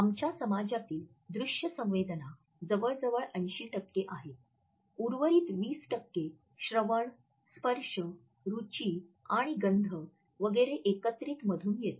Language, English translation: Marathi, Vision accounts for around 80 percent of our sensory perception, the remaining 20 percent comes from our combined census of hearing, touching, tasting and smelling etcetera